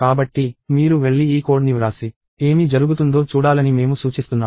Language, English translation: Telugu, So, I suggest that, you go and write this code and see what happens